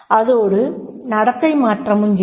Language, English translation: Tamil, Then there will be the behavioral change